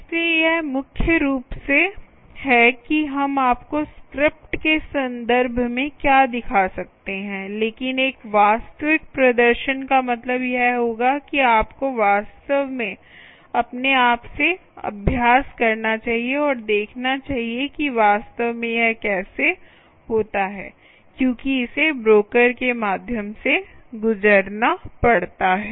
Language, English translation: Hindi, so this is mainly what you can, what we can show you in terms of scripts, but a real demonstration would mean that you should actually practice by yourself and see how exactly it happens, because it has to pass through the broker